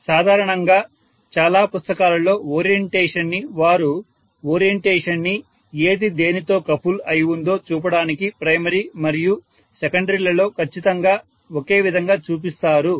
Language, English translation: Telugu, So generally orientation in many books they show the orientation exactly similar in the primary as well as secondary to show which is actually coupled to which one ok